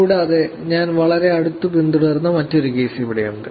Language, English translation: Malayalam, Also here is another one that I was also following very closely